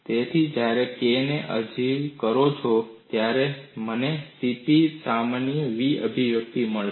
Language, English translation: Gujarati, So, when you substitute for k, I would get the expression v equal to C P